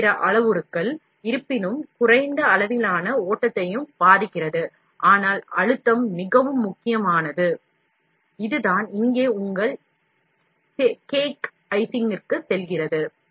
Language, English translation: Tamil, A number of other parameters; however, also affects the flow of the, to a lesser degree, but pressure is very very important, this is what here do go back to your cake icing